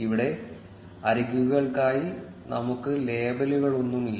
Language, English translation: Malayalam, In our case, we do not have any labels for the edges